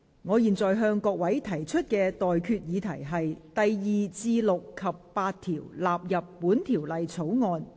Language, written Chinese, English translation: Cantonese, 我現在向各位提出的待決議題是：第2至6及8條納入本條例草案。, I now put the question to you and that is That clauses 2 to 6 and 8 stand part of the Bill